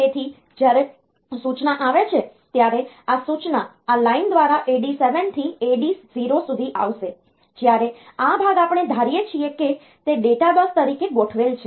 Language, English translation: Gujarati, So, the this is the instruction will come through this line this AD 7 to AD 0, when this part is we assume that it is it is configured as data bus